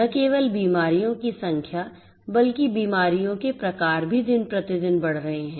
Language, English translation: Hindi, Not only the number of diseases, but also the types of diseases are also increasing day by day